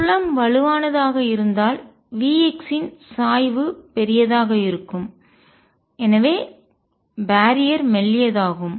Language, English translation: Tamil, Stronger the field large is the slope of v x and therefore, thinner the barrier